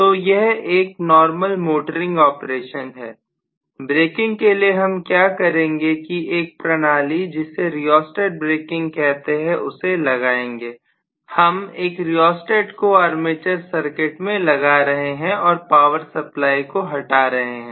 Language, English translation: Hindi, So this is the normal motoring operation, what we will do for braking which we call this as rheostatic braking because we are going to include a rheostat in the armature circuit removing the power supply itself